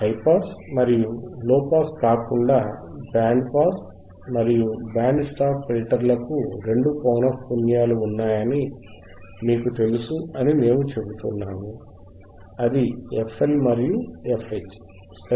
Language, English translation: Telugu, That is what we are saying that we know that unlike high pass and low pass, band pass and band stop filters have two frequencies; that is your FL and FH